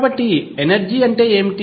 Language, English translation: Telugu, So, what is energy